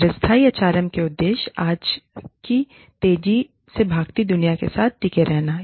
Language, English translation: Hindi, Objectives of sustainable HRM, with the fast paced world of today